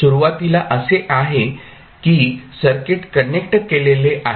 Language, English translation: Marathi, Initially it is like this, the circuit is connected